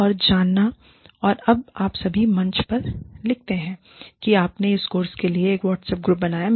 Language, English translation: Hindi, And knowing, and when you all, write on the forum, that you formed a WhatsApp group, for this course